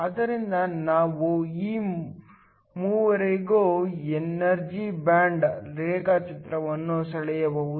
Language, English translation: Kannada, So, we can draw the energy band diagram for all three of this